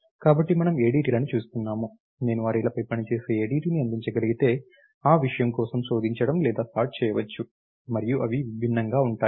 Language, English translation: Telugu, So, one we have looking ADTs, if I could provide an ADT which operates on arrays, can do searching or shorting for that matter and are different